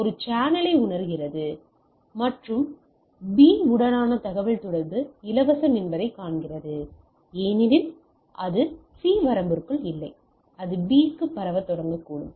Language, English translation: Tamil, So, A senses the channel and see that the communication to the B is free because it is not within the range of the C and it may begin transmission to B